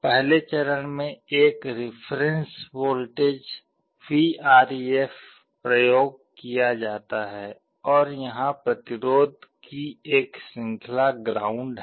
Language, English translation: Hindi, In the first stage there is a reference voltage Vref that is used and there is a chain of resistances to ground